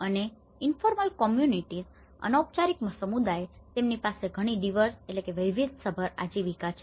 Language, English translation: Gujarati, And the informal communities, they have a very diverse livelihoods